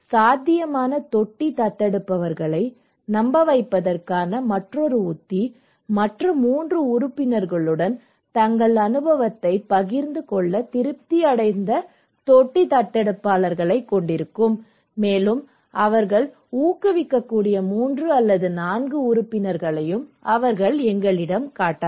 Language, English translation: Tamil, Another strategy to convince potential tank adopters would have satisfied tank adopters to share their experience into other 3 members okay, they can also tell us that the 3 or 4 members they can promote